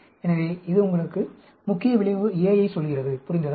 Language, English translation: Tamil, So, that tells you, effect of, main effect A, understand